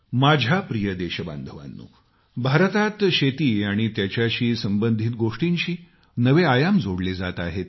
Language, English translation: Marathi, new dimensions are being added to agriculture and its related activities in India